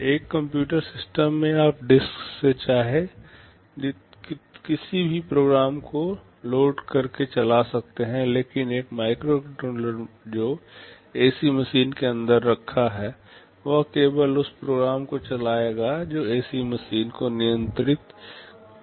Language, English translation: Hindi, In a computer system you can load any program you want from the disk and run it, but a microcontroller that is sitting inside an AC machine will only run that program that is meant for controlling the AC machine